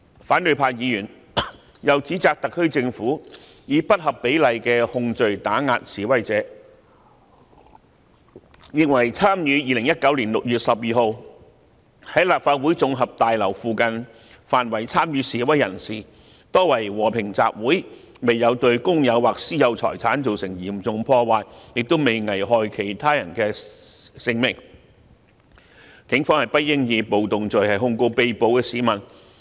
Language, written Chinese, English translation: Cantonese, 反對派議員又指責特區政府，以不合比例的控罪打壓示威者，認為參與2019年6月12日在立法會綜合大樓附近範圍的示威人士，多為和平集會，未有對公有或私有財產造成嚴重破壞，亦都未危害其他人的性命，警方不應以暴動罪控告被捕市民。, Opposition Members have also accused the SAR Government of suppressing the protesters by charging them with disproportionate offences . They think that most protesters who participated in the assembly near the Legislative Council Complex on 12 June were peaceful . Since they had not caused any serious damage to public or private property and had not endangered the lives of other people the Police should not charge the arrested persons with the offence of rioting